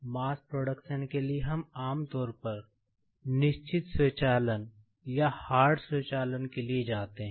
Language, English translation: Hindi, For mass production, we generally go for the fixed automation or hard automation